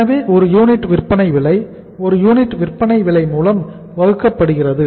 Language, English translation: Tamil, So it is the selling price per unit divided by the selling price per unit